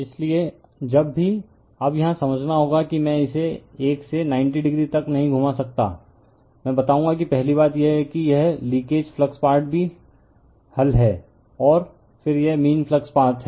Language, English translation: Hindi, So, whenever, now here we have to understand your I cannot revolve this 1 to 90 degree, I will tell you that first thing is that this is the leak[age] leakage flux part is also solve, and then this is the mean flux path